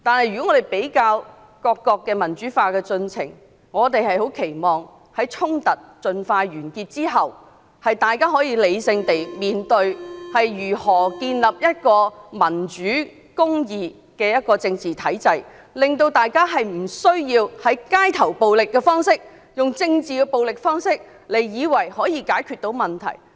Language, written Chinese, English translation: Cantonese, 不過，比較各國民主化的進程，我們期望在衝突盡快完結後，大家可以理性地解決問題，從而建立一個民主和公義的政治體制，令大家無須再以為用街頭暴力或政治暴力的方式，便能解決問題。, However compared with the democratization processes in other countries we hope that the confrontations in Hong Kong will end as soon as possible so that people can solve problems rationally thereby establishing a democratic and just political system without having to resort to street violence or political violence to resolve the problems